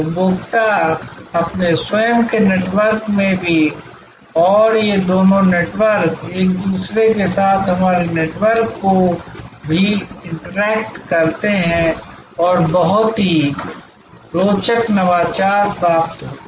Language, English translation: Hindi, Consumers are also in their own network and these two networks interact with each other also our networks and very interesting innovations are derived